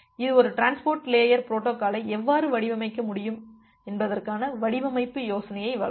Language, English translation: Tamil, This will give a design idea that how will be able to design a transport layer protocol